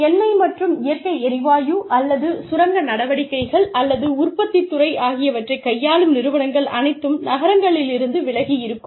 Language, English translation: Tamil, Organizations, that deal with oil and natural gas, or mining activities, or manufacturing sector, where their set ups are away from cities